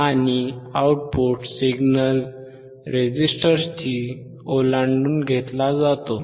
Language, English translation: Marathi, And the output signal is taken across the resistor